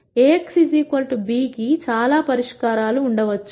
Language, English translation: Telugu, There could be many solutions for A x equal to b